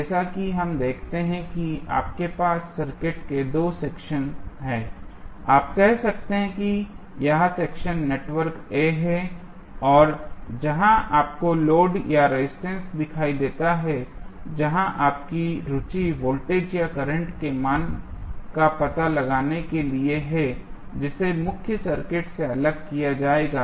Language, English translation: Hindi, As we see you have 2 sections of the circuit you can say this section is network A and where you see the load or the resistance which, which is of your interest to find out the value of either voltage or current that would be separated from the main circuit and it is called as network B